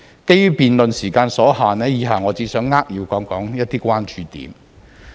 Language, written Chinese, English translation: Cantonese, 基於辯論時間所限，以下我只想扼要談談一些關注點。, Up next due to the time constraint of the debate I would like to highlight some concerns